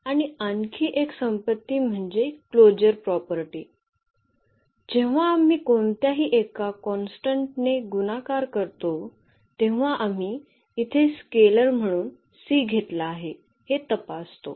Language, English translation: Marathi, And another property the closure property what we check when we multiply by any constant any scalar like here we have taken the c as a scalar